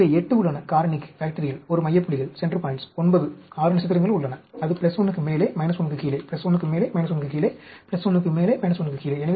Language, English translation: Tamil, So, there are 8, for the factorial, there is 1 central points, 9, 6 stars, that is above plus 1, below minus 1, above plus 1, below minus 1, above plus 1, below minus 1